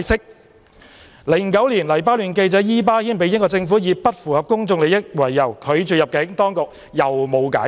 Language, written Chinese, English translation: Cantonese, 在2009年，黎巴嫩記者伊巴謙被英國政府以"不符合公眾利益"為由拒絕入境，當局沒有解釋。, In 2009 Lebanese journalist Ibrahim MOUSSAWI was denied entry by the British Government for the reason that his presence would not be conducive to the public good and the authorities offered no explanation